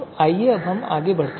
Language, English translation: Hindi, Let us move forward